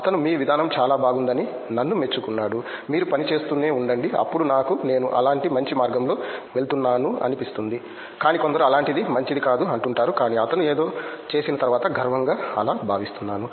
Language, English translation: Telugu, He appreciated me, your way of approach is very good you keep on working me, that makes me something like I am going in a good path like that, but everyone something like that is not good like that, but after he is make something feel proudly like that